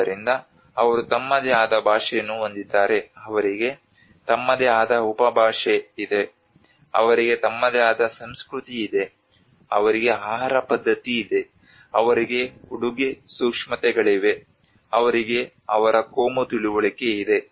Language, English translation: Kannada, So they have their own language, they have their own dialect, they have their own culture, they have food habits, they have their dressing senses, they have their communal understanding